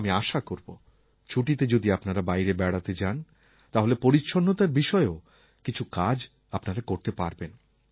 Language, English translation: Bengali, I hope that when you set out on a journey during the coming holidays you can contribute something to cleanliness too